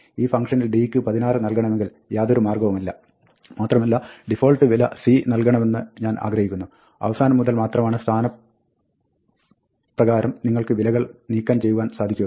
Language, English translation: Malayalam, There is no way in this function to say that, 16 should be given for d, and I want the default value for c; you can only drop values by position from the end